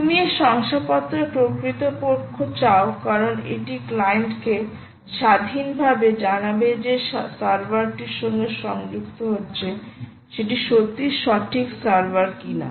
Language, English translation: Bengali, you want this certificate authority because it is independently going to inform the client whether the server is connecting, is indeed the right server or not